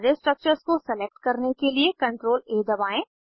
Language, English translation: Hindi, Press CTRL+A to select the structures